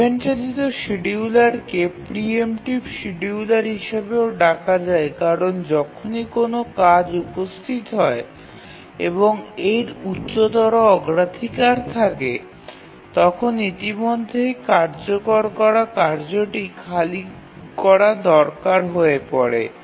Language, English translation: Bengali, So, the event driven schedulers are also called as preemptive schedulers because whenever a task arrives and it has a higher priority then the task that's already executing needs to be preempted